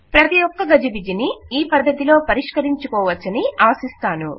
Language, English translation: Telugu, I hope every confusion will be resolved in that way